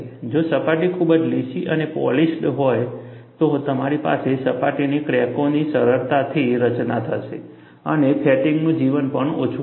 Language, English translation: Gujarati, If the surface is not very smooth and polished, you will have easy formation of surface cracks and fatigue life also would be less